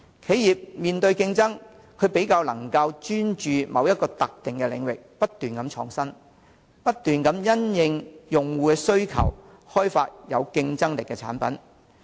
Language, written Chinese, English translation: Cantonese, 企業要面對競爭，須較能專注於某一特定領域不斷創新，不斷因應用戶需求開發有競爭力的產品。, In order to face competition businesses must focus on a certain specific area to innovate incessantly and keep developing competitive products in response to user demand